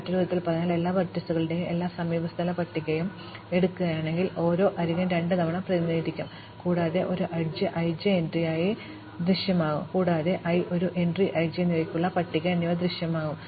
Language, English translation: Malayalam, In other words, if I take all the adjacency lists of all the vertices, each edge will be represented twice and an edge i j will appear as an entry j in the list for i and an entry i in the list for j